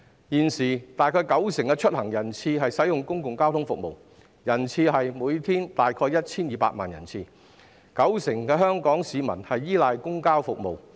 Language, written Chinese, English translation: Cantonese, 現時大約九成的出行人次使用公共交通服務，每天大約為 1,200 萬人次，九成香港市民均依賴公共交通服務。, At present about 90 % of passenger trips use public transport services . The number of daily passenger trips is about 12 million and 90 % of the people of Hong Kong rely on public transport services